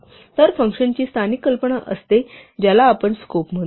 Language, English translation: Marathi, So, functions have local notion of what we call scope